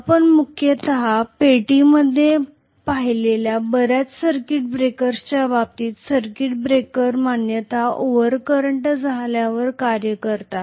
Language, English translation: Marathi, In terms of many circuit breakers you might have seen in the mains box, the circuit breakers generally act as soon as maybe there is an over current